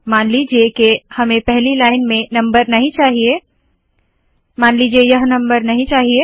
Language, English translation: Hindi, Supposing we dont want the number in the first line, suppose we dont want this number